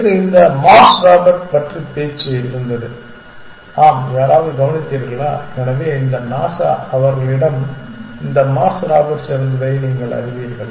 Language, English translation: Tamil, Yesterday there was a talk about this mars Robert yes anybody attend, so this NASA, you know they had this mars Roberts